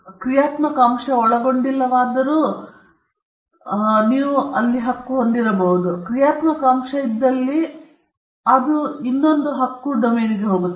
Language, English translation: Kannada, Which does not involve functional element, because if there is a functional element, then it goes to the domain of another right patterns